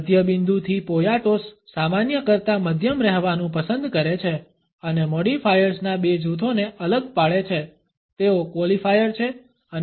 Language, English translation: Gujarati, From a middle point Poyatos has prefer to call medium rather than normal and distinguishes two groups of modifiers they are qualifiers and